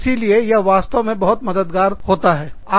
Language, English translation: Hindi, So, that is really, really helpful